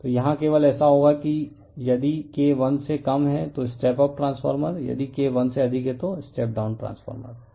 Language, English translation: Hindi, So, will be the here only right so, if K less than that is step up transformer if K greater than that is step down transformer